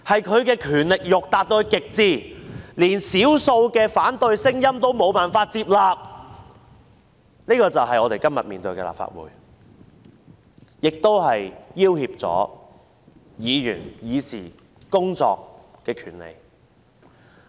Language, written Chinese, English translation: Cantonese, 他的權力慾達到極至，即使少數反對聲音也無法接納，這就是我們今天面對的立法會，亦威脅議員進行議事工作的權利。, He has absolute lust for power and cannot accept even a minority of opposition voices . This is the Legislative Council we are facing nowadays and Members right to discuss public affairs is in jeopardy